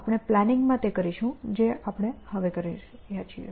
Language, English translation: Gujarati, We will do that in the planning path that we are doing now